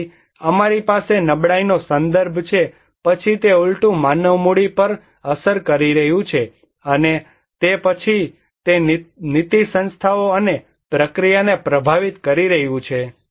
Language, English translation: Gujarati, So, we have vulnerability context, then it is impacting human capital vice versa, and then it is influencing the policy institutions and process